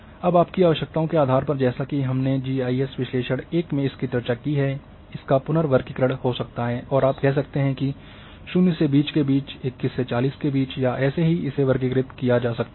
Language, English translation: Hindi, Now depending on your requirements as we have discussed in GIS analysis 1 that reclassification can be done and you can say classify between 0 to 20, 21 to 40 and so on so forth